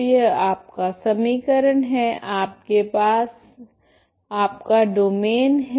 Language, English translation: Hindi, So this is your equation you have your domain